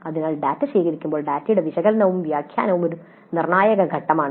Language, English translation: Malayalam, So when the data is collected, analysis and interpretation of the data is a crucial aspect